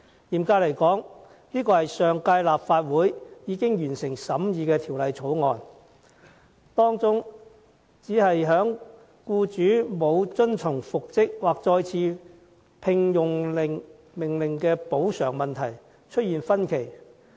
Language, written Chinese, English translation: Cantonese, 嚴格來說，上屆立法會已近乎完成審議《2016年僱傭條例草案》，當中只是就僱主不遵從復職或再次聘用令的補償金額出現分歧。, Strictly speaking the last Legislative Council had almost completed the scrutiny of the Employment Amendment Bill 2016 during which the only disagreement was the amount of compensation payable by employer for non - compliance with an order for reinstatement or re - engagement